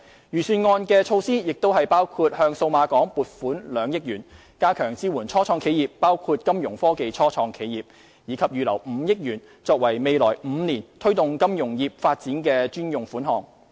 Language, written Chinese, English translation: Cantonese, 預算案的措施包括向數碼港撥款2億元，加強支援初創企業，包括金融科技初創企業，以及預留5億元，作為未來5年推動金融業發展的專用款項。, The initiatives in the Budget include allocating 200 million to Cyberport to enhance support for start - ups including Fintech start - ups as well as setting aside a dedicated provision of 500 million for the development of the financial services industry in the coming five years